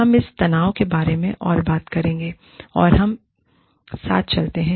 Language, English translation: Hindi, And, we will talk more about this tension, as we go along